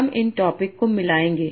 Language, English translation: Hindi, I'll mix these topics